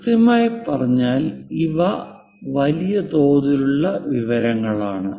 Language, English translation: Malayalam, Precisely these are the large scale information